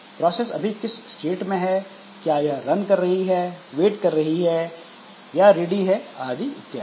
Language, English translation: Hindi, At present whether the process is running, waiting, ready, etc